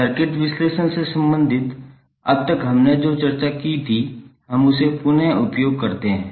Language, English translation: Hindi, Let us recap what we discussed till now related to circuit analysis